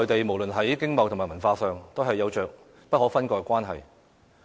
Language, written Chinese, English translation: Cantonese, 無論在經貿和文化上，香港與內地都有着不可分割的關係。, Hong Kong is inalienable from the Mainland in terms of economic trade and cultural development